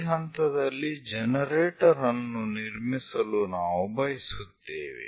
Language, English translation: Kannada, We would like to construct a generator at this point